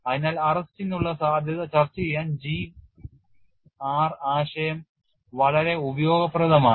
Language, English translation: Malayalam, So, G and R concept is very useful to discuss the possibility of arrest